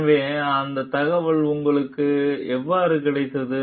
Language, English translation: Tamil, So, how you got that information